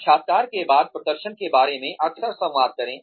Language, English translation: Hindi, After the interview, communicate frequently about performance